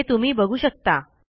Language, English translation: Marathi, As you can see here